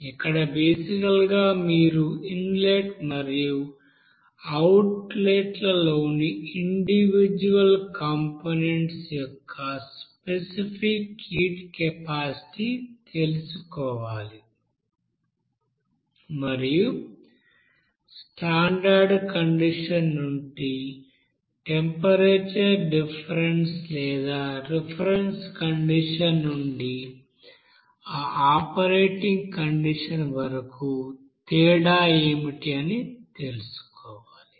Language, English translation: Telugu, Here basically you have to know that specific heat capacity for individual components in the inlet and outlet and what is the temperature difference from that the standard condition or difference from the reference condition up to that you know operating condition